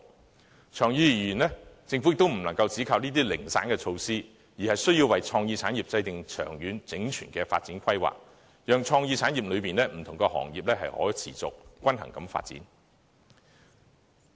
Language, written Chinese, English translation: Cantonese, 可是，長遠而言，政府也不能只靠這些零散措施，而需要為創意產業制訂長遠、整全的發展規劃，讓創意產業內的不同行業可以持續和均衡發展。, However in the long run the Government cannot merely rely on these piecemeal measures . It must formulate long - term and holistic development plan for creative industries so as to facilitate the sustainable and balanced development of various industries under the creative umbrella